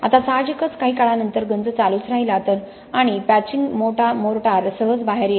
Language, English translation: Marathi, Now obviously after sometime the corrosion continued and the patching mortar simply fell apart, it came out